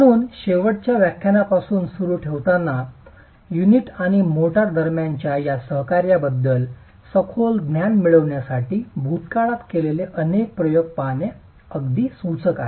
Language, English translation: Marathi, So, in continuation from the last lecture, it is quite instructive to look at several experiments that were carried out in the past to gain a deeper understanding of this coaction between the unit and the motor